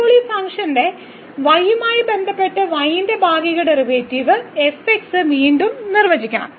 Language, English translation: Malayalam, So, here now the partial derivative of y with respect to the of this function again the definition